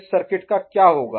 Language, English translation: Hindi, What will happen to the circuit